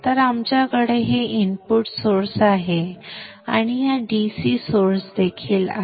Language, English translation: Marathi, So we have this input source and this is also a DC source